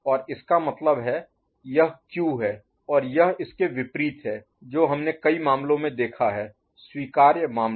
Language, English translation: Hindi, And that means, this is Q and this is the invert of it that is what we have seen in the cases; the allowable cases, right